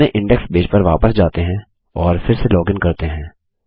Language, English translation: Hindi, Lets go back to our index page and lets log in again, as we did before